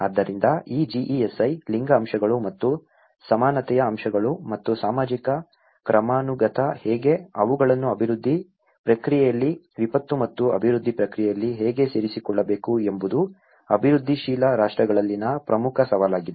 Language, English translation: Kannada, So, this GESI, how the gender aspects and the equality aspects and the social hierarchy, how they have to be included in the development process, in the disaster and development process is one of the important challenge in the developing countries